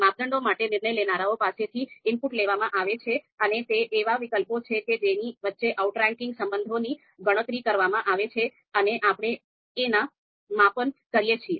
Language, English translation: Gujarati, For the criteria, we you know take the input from decision makers and it is actually the alternatives among which we you know you know you know compute these outranking relation and do our measurement